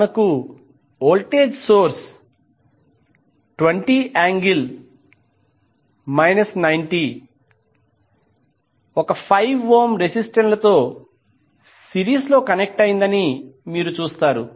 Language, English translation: Telugu, You see that you have voltage source 20 angle minus 90 degree connected in series with 5 ohm